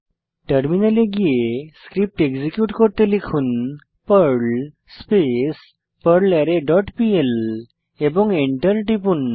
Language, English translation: Bengali, Then switch to the terminal and execute the Perl script by typing perl perlArray dot pl and press Enter